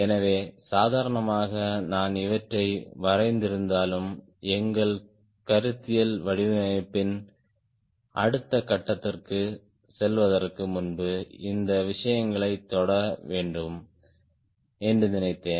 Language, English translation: Tamil, ok, so, although casually, i have drawn these, i thought we must touch upon these things before we go for next stage of our conceptual design